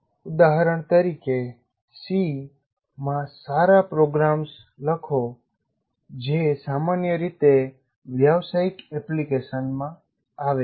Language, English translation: Gujarati, Like example can be write good programs in C, encountered commonly in business applications